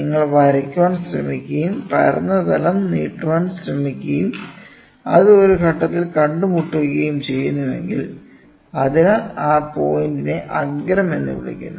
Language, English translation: Malayalam, So, if you try to draw and you try to extend the flat plane and if it meets at a point; so, that point is called as the apex, right